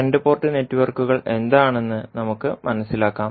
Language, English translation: Malayalam, So, let us understand what two port network